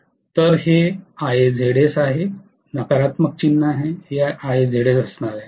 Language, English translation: Marathi, So this is Ia Zs with a negative sign, this is going to be Ia Zs